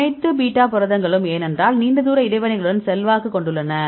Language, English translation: Tamil, All beta proteins right because influence with long range interactions